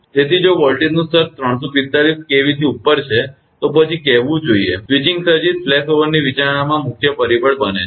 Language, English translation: Gujarati, So, if voltage level is above 345 kV say then of course, switching surges become the major factor in flashover consideration